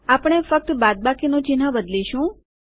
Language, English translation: Gujarati, We will just replace the minus symbol there